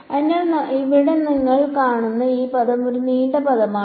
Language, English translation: Malayalam, So, this term over here that you see right it is a longish term